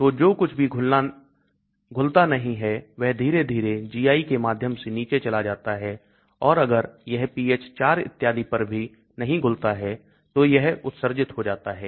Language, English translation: Hindi, So whatever does not dissolve will slowly go down through the GI and if it does not dissolve even at pH 4 and so on it may get excreted